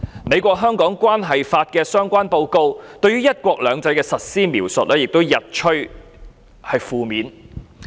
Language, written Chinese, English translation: Cantonese, 《美國―香港政策法》的相關報告，對於"一國兩制"的實施描述也日趨負面。, The elaboration on the implementation of one country two systems in the Hong Kong Policy Act Report is also increasingly negative